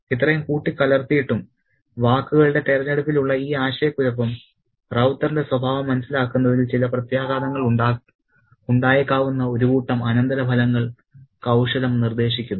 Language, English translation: Malayalam, So, even despite this mix up, this confusion in the choice of words, cunning does suggest a set of implications that might have some ramifications in understanding the character of Ravta